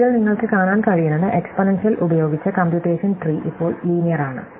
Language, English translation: Malayalam, So, what you can see in this is that the computation tree which used be exponential is now linear